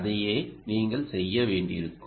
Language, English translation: Tamil, essentially that's what you will have to do